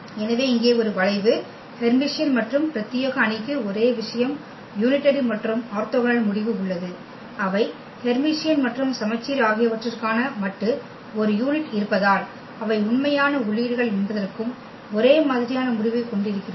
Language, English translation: Tamil, So, here for a skew Hermitian and exclusive metric the same thing unitary and orthogonal we have the same result, that they are of a unit modulus for Hermitian and symmetric we have also the same result for both that they are the real entries